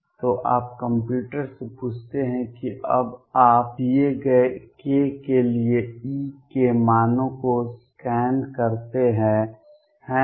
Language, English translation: Hindi, So, you ask to computer now you scan over values of E for a given k, right